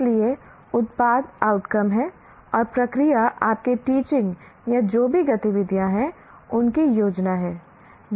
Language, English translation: Hindi, So, the product is the outcome and the process is your teaching or whatever activities that you plan